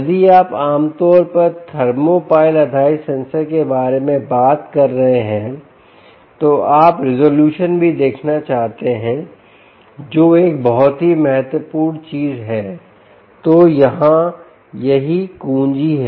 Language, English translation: Hindi, if you are talking about thermopile based sensors, you may also want to look at resolution, which is an very important things